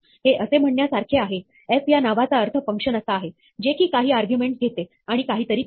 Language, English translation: Marathi, It says, the name f will be interpreted as a function which takes some arguments and does something